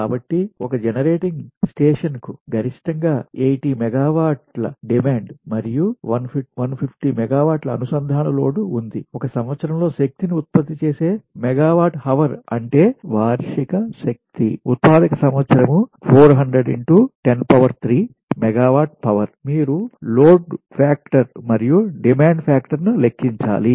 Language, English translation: Telugu, so a generating station has a maximum demand of eighty megawatt and a connected load of one fifty megawatt, right, if megawatt hour, that is energy generated in a year is that is, annual energy generation year is four hundred into ten to the power three a megawatt hour